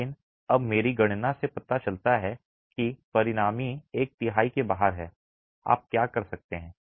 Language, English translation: Hindi, But now my calculations show that the resultant is outside the middle one third